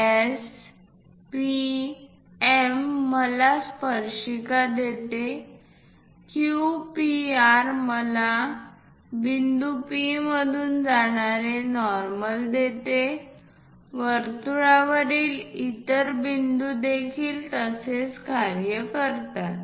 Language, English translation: Marathi, So, S, P, M gives me tangent; Q, P, R gives me normal passing through point P, any other point on the circle also it works in the similar way